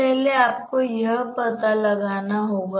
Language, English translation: Hindi, First, you have to understand